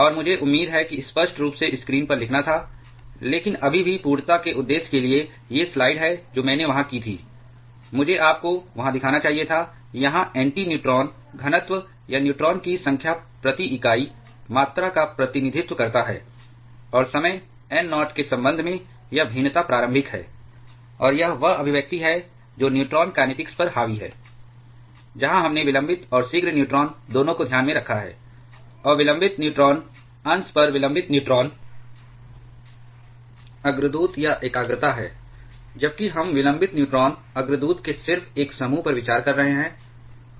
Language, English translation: Hindi, And I had to write on the screen hopefully that was clear, but still for the purpose of completeness, these are the slide that I had there, I should have shown you there, here nt represents the neutron density or number of neutrons per unit volume and this variation with respect to time n naught is the initial one and this is the expression which dominates the neutron kinetics; where we have taken into consideration both delayed and prompt neutrons, and beta is the delayed neutron precursor or concentration on delayed neutron fraction rather where we are considering just the single group of delayed neutron precursor